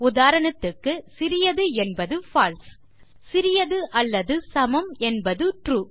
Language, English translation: Tamil, So for example less than would be False, less than or equal to would be True